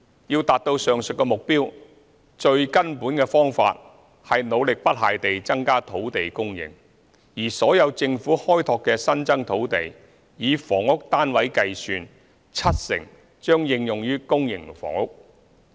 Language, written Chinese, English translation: Cantonese, 要達至上述目標，最根本的方法是努力不懈地增加土地供應，而所有政府開拓的新增土地，以房屋單位計算，七成將應用於公營房屋。, The most fundamental way to achieve these targets is making every effort to increase land supply . In terms of housing units 70 % of the land newly developed by the Government will be used for public housing